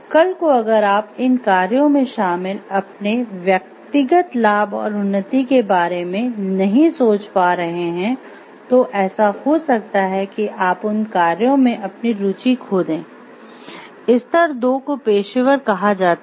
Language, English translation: Hindi, Tomorrow if this you are not able to visualize the personal gain and an advancement, which are involved in these activities it may so happen that you may lose your interest in them, level 2 is called professional